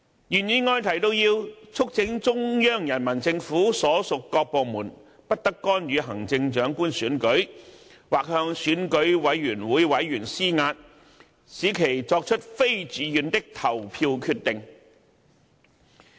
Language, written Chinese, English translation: Cantonese, 原議案提到，要"促請中央人民政府所屬各部門不得干預行政長官選舉"，"或向選舉委員會委員施壓，使其作出非自願的投票決定"。, The original motion states that this Council also urges the various departments of the Central Peoples Government not to interfere in the Chief Executive Election nor to pressurize members of the Election Committee into making voting decisions against their own wills